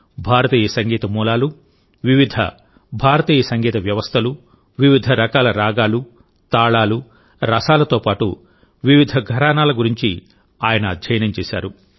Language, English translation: Telugu, He has studied about the origin of Indian music, different Indian musical systems, different types of ragas, talas and rasas as well as different gharanas